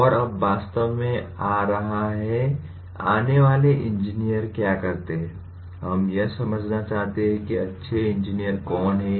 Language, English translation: Hindi, And now coming to actually what do engineers do, we want to understand who are good engineers